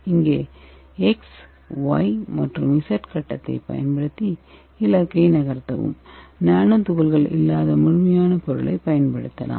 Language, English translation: Tamil, And here we can use that X, Y and Z stage to move the target and you can unitize the complete material for making the nano particles